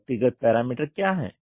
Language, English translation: Hindi, What is the individual parameter